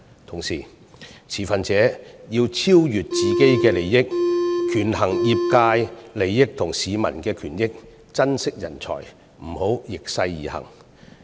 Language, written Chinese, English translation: Cantonese, 同時，持分者要超越自己的利益，權衡業界利益和市民權益，珍惜人才，不要逆勢而行。, Meanwhile stakeholders should look beyond their own interests to weigh the interests of the sector against those of the public . They should treasure the talents rather than bucking the trend